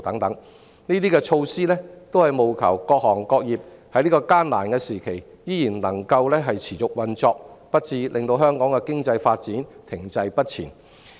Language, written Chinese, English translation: Cantonese, 相關措施務求讓各行各業在這個艱難時期仍能持續運作，令香港的經濟發展不致停滯不前。, It is hoped that these measures can keep all the sectors and industries ticking along at this difficult time so that the economic development in Hong Kong will not become stagnant